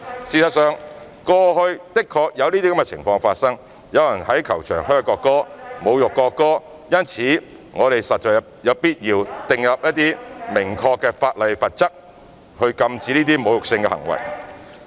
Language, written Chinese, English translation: Cantonese, 事實上，過去的確有這些情況發生，有人在球場噓國歌、侮辱國歌，因此我們實在有必要訂立明確法例和罰則，禁止這些侮辱性行為。, As a matter of fact such cases did have occurred in the past . Some people insulted the national anthem by booing the national anthem in football stadium . Hence there is indeed a need to set out clear laws and penalties to prohibit these insulting behaviours